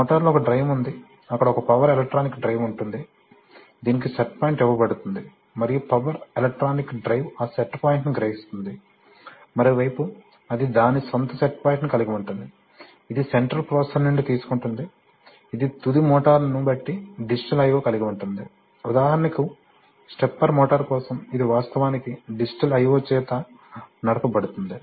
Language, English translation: Telugu, On the motor, so it gives the, there is a drive, there is, there will be a power electronic drive which will be given a set point and that power electronic drive will realize that set point, on the other hand it will take its own set point, it will take from the central processor, it has, it has digital i/o depending on what is the final motor, various, for example for a, for stepper motor it is actually driven by digital i/o